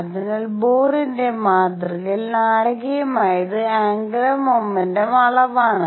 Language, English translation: Malayalam, So, dramatic about Bohr’s model was quantization of angular momentum